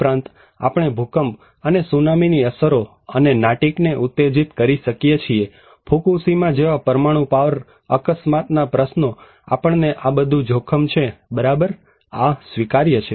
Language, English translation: Gujarati, Also, we could have earthquake and tsunami impacts and triggered Natick, kind of questions like Fukushima, a nuclear power accident so, we have all this risk right, this is accepted